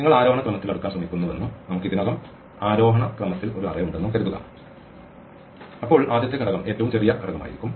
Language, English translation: Malayalam, Supposing you are trying to sort in ascending order and we already have an array in ascending order then the first element will be the smallest element